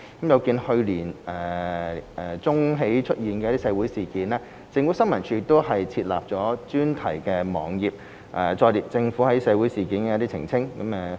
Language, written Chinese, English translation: Cantonese, 有見去年年中起出現的社會事件，政府新聞處已設立專題網頁，載列政府就社會事件的澄清。, In view of the social incidents since mid - last year the Information Services Department ISD has set up a dedicated web page on clarifications by the Government